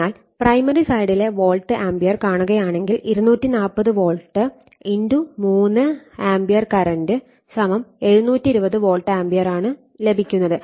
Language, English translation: Malayalam, So, if you see the volt ampere primary sidE240 volt * 3 ampere current so, 720 volt ampere right